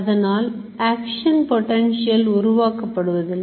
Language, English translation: Tamil, So, action potential cannot happen partially